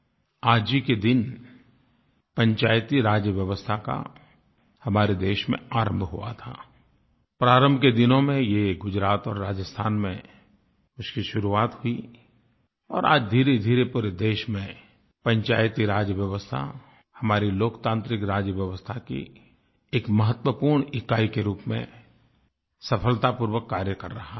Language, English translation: Hindi, Panchayati Raj system has gradually spread to the entire country and is functioning successfully as an important unit of our democratic system of governance